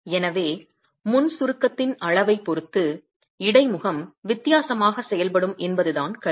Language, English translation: Tamil, So the point is that interface will behave differently with respect to the level of pre compression